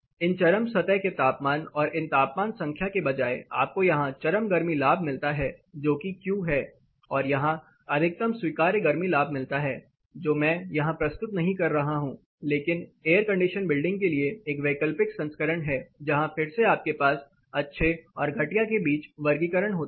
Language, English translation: Hindi, Inside of these peak surface temperature and this temperature numbers here you get the peak heat gain that is Q and the maximum allowable heat gain so which I am not presenting here, but there is an alternate version for air condition building where again you have a classification between good and poor